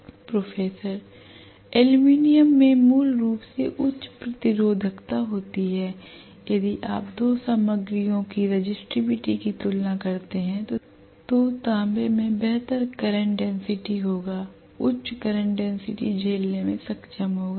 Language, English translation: Hindi, Aluminum has basically higher resistivity if you compare the resistivity of the two materials copper will have better current density, higher current density it will be able to withstand